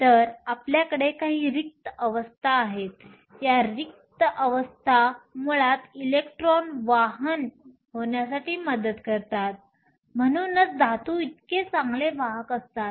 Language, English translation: Marathi, So, we do have some empty states; these empty states basically help in conduction of electrons which is why metals are such good conductors